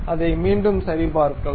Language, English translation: Tamil, Let us recheck it